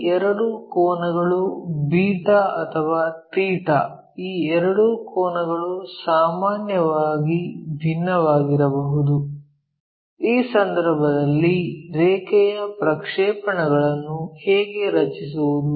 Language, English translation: Kannada, These two angles the beta or theta, these two angles may be different in general, if that is the case how to draw the projections of this line